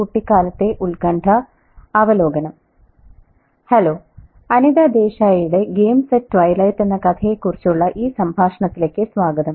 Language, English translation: Malayalam, Hello and welcome to this conversation on Anita Desai's Games at Twilight